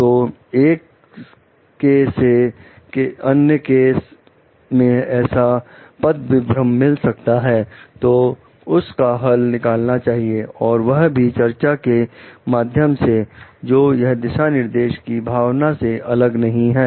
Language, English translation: Hindi, So, case to case deviations, so that needs to be sorted out by having like discussions, so that it is not away from the spirit of the guideline